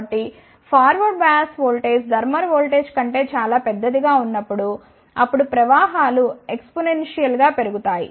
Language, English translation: Telugu, So, when the forward bias voltage is much larger than the thermal voltage, then the currents increases exponentially